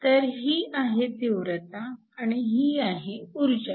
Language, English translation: Marathi, So, this is the intensity and then this is the energy